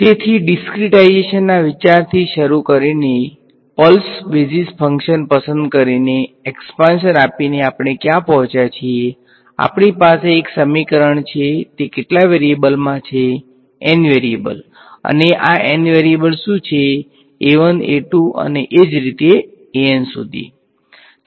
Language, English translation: Gujarati, So, starting off with the idea of discretization choosing the pulse basis functions opening up the expansion what have we arrived at we have one equation in how many variables N variables and what are these N variables a 1, a 2 all the way up to a n